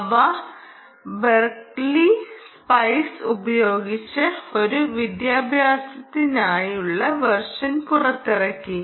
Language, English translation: Malayalam, they have adopted the berkeley spice ah um and have released an educational version